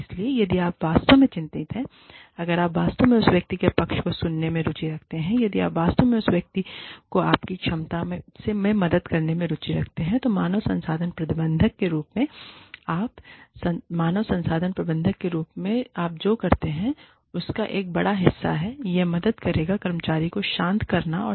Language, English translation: Hindi, So, if you are genuinely concerned, if you are genuinely interested, in hearing the person's side, if you are genuinely interested in helping the person, in your capacity as the human resources manager, which is a big chunk of, what you do as an HR manager, then it will help the employee, to calm down